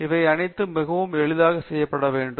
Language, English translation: Tamil, All of that should be done fairly easily